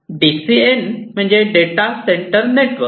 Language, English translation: Marathi, DCN is basically data center network